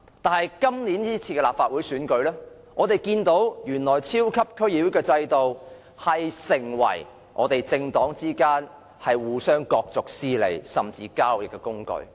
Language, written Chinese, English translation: Cantonese, 但是，在本屆立法會選舉，我們看到原來超級區議會制度會成為政黨之間互相角逐私利，甚至是交易的工具。, Yet in the last Legislative Council Election we saw that the super DC system became a tool of competition for their own interests and even for doing deals among different political parties